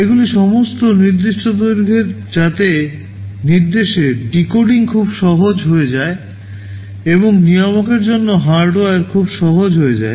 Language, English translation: Bengali, They are all of fixed length so that decoding of the instruction becomes very easy, and your the hardware for the controller becomes very simple ok